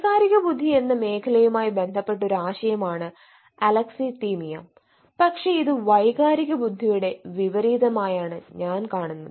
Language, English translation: Malayalam, alexilthymia is a concept also related to the domain of emotional intelligence, but it is just like the uh opposite of emotional intelligence